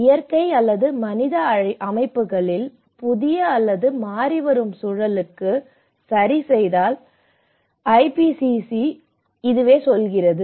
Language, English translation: Tamil, The IPCC tells about the adjustment in natural or human systems to a new or changing environment